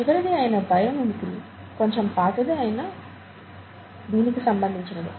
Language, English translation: Telugu, The last one, bio mimicry, is slightly old but very relevant, okay